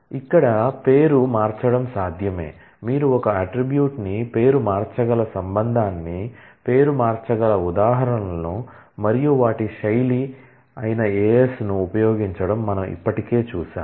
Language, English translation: Telugu, It is possible to rename, we have already seen examples you can rename a relation you can rename an attribute and the style is to use AS